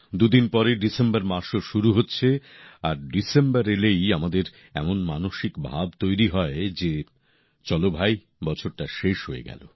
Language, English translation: Bengali, Two days later, the month of December is commencing…and with the onset of December, we psychologically feel "O…the year has concluded